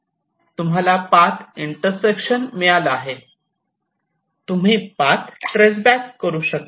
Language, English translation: Marathi, now, as you got a path intersection like this, you can trace back a path like up to here